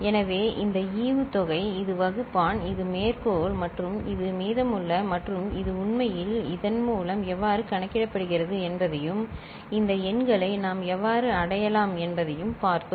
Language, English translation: Tamil, So, the this is the dividend, this is the divisor, this is the quotient and this is the remainder and we had seen how it actually is getting calculated through this and how we can arrive at these numbers